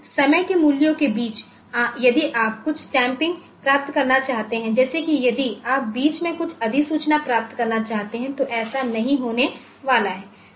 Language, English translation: Hindi, But in between time values, if you want to get some stamping like if you want to get some notification in between that is not going to happen